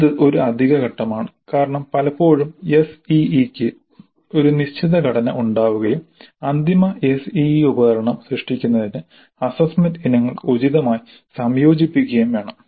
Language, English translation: Malayalam, That is one additional step because often the SE has got a fixed structure and the assessment items need to be combined appropriately in order to create the final SEE instrument